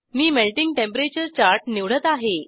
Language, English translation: Marathi, I will select Melting Temperature chart